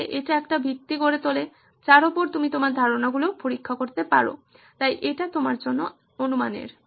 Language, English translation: Bengali, So that makes it the basis on which you can test your ideas, so that is list of assumptions for you